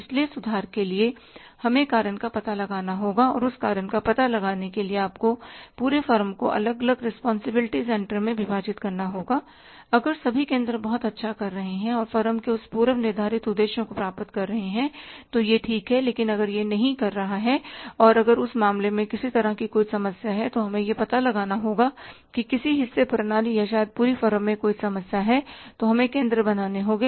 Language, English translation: Hindi, So, for rectifying we have to find out the cause and for finding out the cause you have to divide the whole form into the different responsibility centers if all the centers are doing very well and achieving that pre determined objectives of the form then it is fine but if it is not doing and if there is a problem of any kind in that case we will have to find out at which part of the system or maybe the whole of the form there is a problem so we will have to create the centers